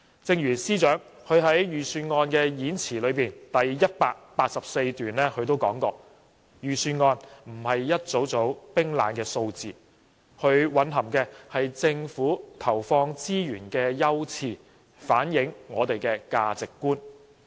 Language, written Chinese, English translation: Cantonese, 正如司長在預算案演辭第184段所說："預算案不只是一組組冰冷的數字，它蘊含的是政府投放資源的優次，反映我們的價值觀。, The Financial Secretary stated in paragraph 184 of the Budget that the Budget is not just a collection of cold and hard figures . It also indicates the priorities set by the Government in resource allocation reflecting the values we hold